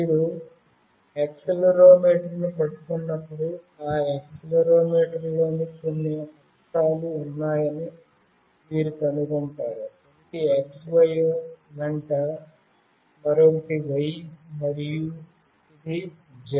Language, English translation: Telugu, When you hold the accelerometer, you will find out that that accelerometer is having certain axes, one is along X, another is Y and this one is Z